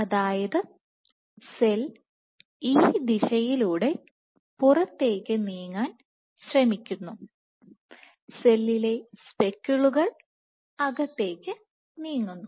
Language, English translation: Malayalam, So, the cell is trying to move outward in this direction the cells speckles are moving inward